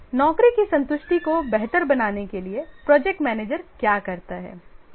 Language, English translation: Hindi, What does the project manager do to improve job satisfaction